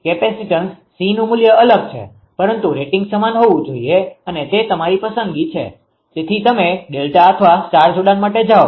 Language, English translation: Gujarati, Capacitance value different, but rating has to be same and it is your yours choice, so either you go for a delta or star connection